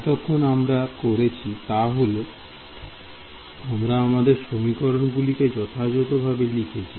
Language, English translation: Bengali, So, so far what we have done is we have sort of written this equation abstractly ok